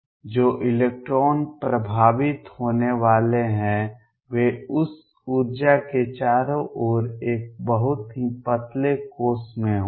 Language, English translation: Hindi, Electrons that are going to affected are going to be in a very thin shell around that energy